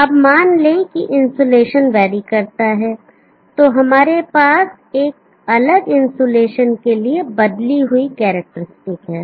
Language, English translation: Hindi, Now suppose if the insulation varies, so we have the changed characteristic for a different insulation